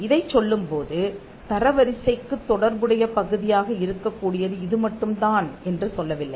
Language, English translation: Tamil, Now, this is not to say that this is the only place, or this is the only part which could be relevant for the ranking